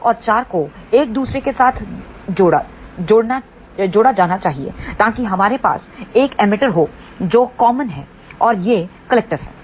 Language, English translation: Hindi, 2 and 4 should be connected with each other so that we have a emitter which is common and this is collector